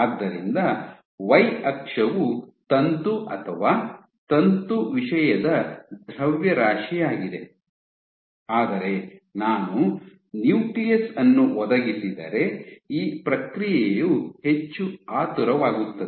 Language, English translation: Kannada, So, my y axis is the mass of filament or filament content, but if I provide a nucleus then this process is much hastened